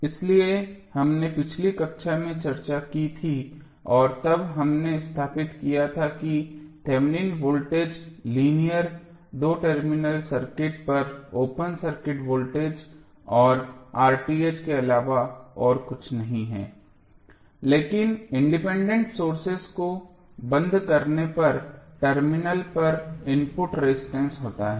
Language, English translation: Hindi, So, this is what we discussed in the last class and then we stabilized that Thevenin voltage is nothing but open circuit voltage across the linear two terminal circuit and R Th is nothing but the input resistance at the terminal when independent sources are turned off